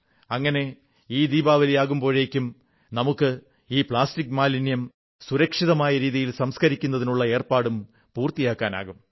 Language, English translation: Malayalam, This way we can accomplish our task of ensuring safe disposal of plastic waste before this Diwali